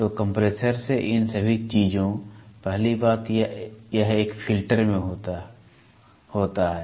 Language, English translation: Hindi, So, all these things from the compressor, first thing it gets into a filter